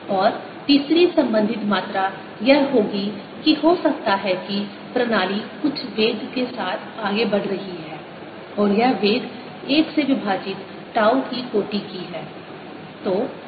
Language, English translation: Hindi, and third related quantity would be that maybe the system is moving with some velocity and there velocity is of the order of a, l over tau